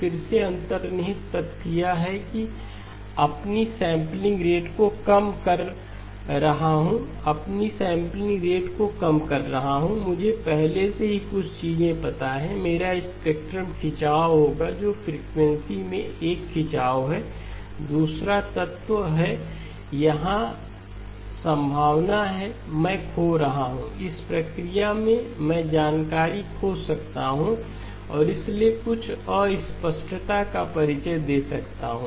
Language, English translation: Hindi, Again, the underlying fact is that I am reducing my sampling rate, reducing my sampling rate, I already know a couple of things, my spectrum will stretch, that is a stretching in frequency, the other element is there is a possibility I am losing, in the process I may lose information and therefore introduce some ambiguity